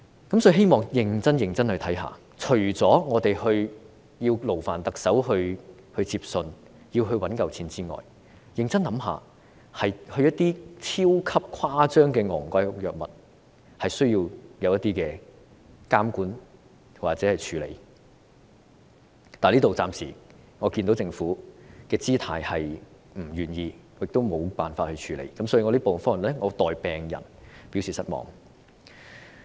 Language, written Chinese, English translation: Cantonese, 因此，希望當局認真審視，除了勞煩特首接信和籌措足夠金錢之外，認真想一想，一些超級誇張昂貴的藥物是需要監管或處理的，但暫時我們看到政府的姿態是不願意，亦無法處理，所以我在此代表病人表示失望。, Therefore I hope that the authorities will in addition to the Chief Executive receiving letters and raising enough money ruminate about the necessary regulation and response in relation to some super - exaggeratedly expensive drugs . However for the time being the Government shows an unwilling attitude and fails to deal with it so I express disappointment here on behalf of the patients